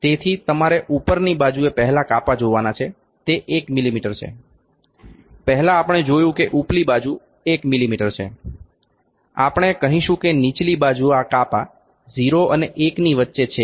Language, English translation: Gujarati, So, you can see the first division on the upper side that that is 1 mm, first we know the upper side is 1 mm, if we say the lower side this division is between 0 and 1 that is 0